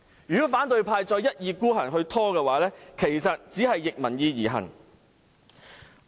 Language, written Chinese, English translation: Cantonese, 如果反對派再一意孤行地拖延，只是逆民意而行。, If opposition Members continue to procrastinate obstinately they are just acting against public opinion